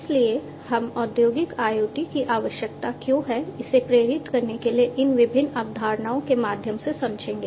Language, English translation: Hindi, So, we will go through these different concepts to motivate why Industrial IoT is required